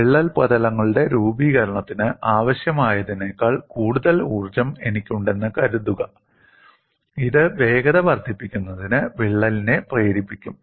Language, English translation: Malayalam, Suppose I have more energy than what is required for the formation of crack surfaces, this would propel the crack at increasing velocities